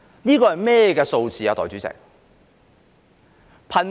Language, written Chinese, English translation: Cantonese, 這個是甚麼數字，代理主席？, What does this figure mean Deputy President?